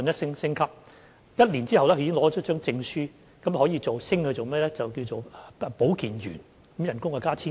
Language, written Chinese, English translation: Cantonese, 在修讀一年後，他們如獲得證書，可以晉升為保健員，加薪千多元。, After studying for one year and are awarded with certificates they can be promoted as health workers with a salary increase of over 1,000